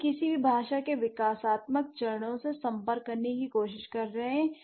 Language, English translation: Hindi, So, we are trying to approach the developmental stages of any given language